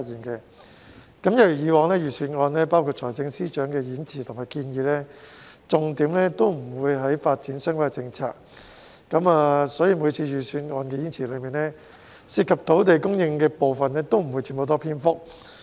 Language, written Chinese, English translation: Cantonese, 一如以往，財政預算案包括財政司司長的演辭和建議在內，重點都不會放在發展相關的政策，所以每次預算案演辭中涉及土地供應的部分，都不會佔很大篇幅。, As in the past the Budget including the Budget Speech of the Financial Secretary FS and various proposals has not placed any emphasis on policies related to development . This is why there was not much mention of land supply in the previous budget speeches